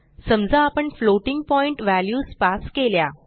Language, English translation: Marathi, Suppose if we pass floating point values